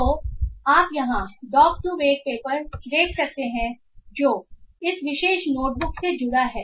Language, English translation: Hindi, So you can look into the doc to vac paper here which is linked to this particular notbook